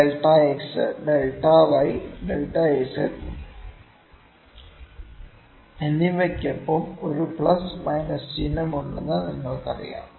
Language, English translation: Malayalam, You know, there is a plus minus sign with delta x, with delta y and delta z